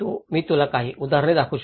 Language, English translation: Marathi, I can show you some example